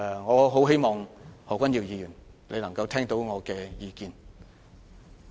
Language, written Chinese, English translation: Cantonese, 我希望何君堯議員聽到我的意見。, I hope Dr Junius HO can pay heed to my advice